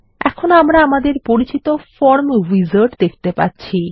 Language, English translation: Bengali, Now we see the familiar Form wizard